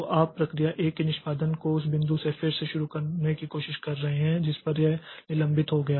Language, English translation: Hindi, So, you are trying to resume the execution of process one from the point at which it got suspended